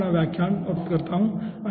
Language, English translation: Hindi, here i end my lecture, as well as the course aah